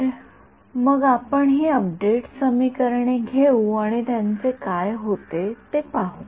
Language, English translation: Marathi, So, let us take let us take these update equations and see what happens to them ok